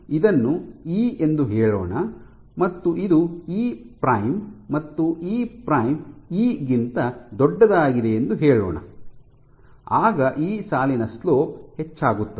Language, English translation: Kannada, So, let us say if it is E and this is E prime and E prime is greater than E then the slope of this line will increase